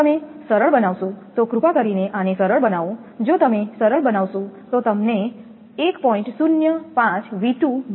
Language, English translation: Gujarati, If you simplify if you please simplify this one, if you simplify you will get 1